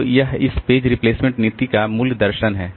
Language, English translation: Hindi, So, that is the basic philosophy of this page replacement policy